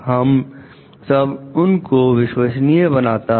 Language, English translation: Hindi, That makes them trustworthy